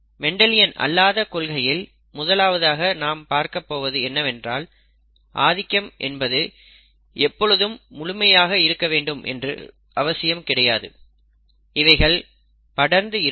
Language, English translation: Tamil, The first non Mendelian principle that we are going to look at is that dominance is not always, excuse me, absolute, a spectrum exists